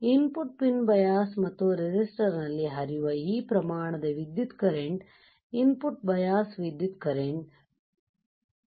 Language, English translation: Kannada, This amount of current that flows into input pins of the bias and resistor are called input bias currents that are called input bias currents